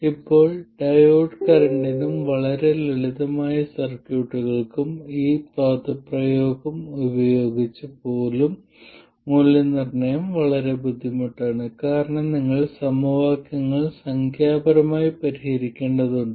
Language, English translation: Malayalam, Now even with this expression for the diode current and even for very simple circuits, evaluation becomes very difficult because you have to solve equations numerically